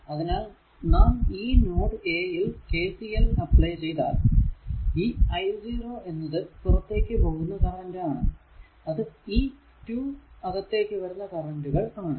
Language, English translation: Malayalam, Therefore, if you apply KCL at your what you call at ah node a , then your i 0 that is the outgoing current i 0 is out going current is equal to 2 currents are incoming